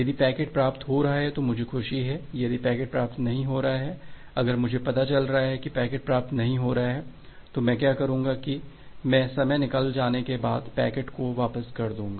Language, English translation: Hindi, If the packet is being received then I am happy, if the packet is not being received, if I am able to find out that the packet is not being received, then what I will do that I will returns with the packet after a time out